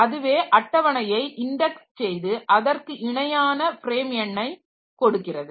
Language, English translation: Tamil, So, page table will give me the corresponding frame number